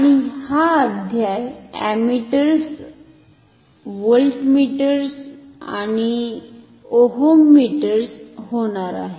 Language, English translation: Marathi, And this chapter is going to be on Ammeters, voltmeters and oeters